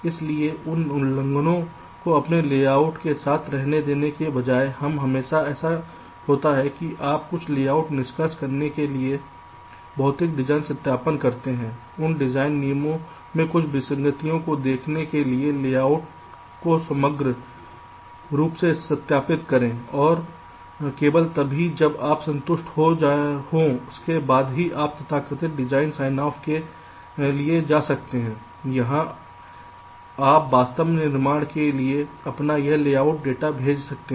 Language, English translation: Hindi, so instead of letting those violations remain with your layout, it is always the case that you do a physical design verification, to do some layout extraction, verify the layout overall to look for some anomalies in those design rules and only if an your satisfy with that, then only you can go for the so called design sign of where you can ah actually send your this layout data for fabrication